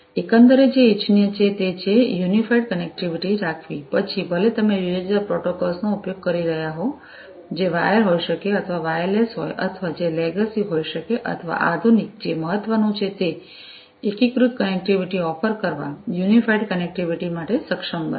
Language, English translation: Gujarati, Overall what is desirable is to have unified connectivity even if you are using an assortment of different protocols, which may be wired or, wireless or which could be the legacy ones or, the modern ones, what is important is to be able to offer unified connectivity, unified connectivity